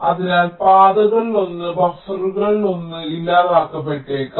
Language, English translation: Malayalam, so one of the path one of the buffers might get eliminated